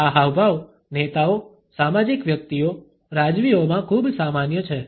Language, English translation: Gujarati, This gesture is very common among leaders, social figures, royalty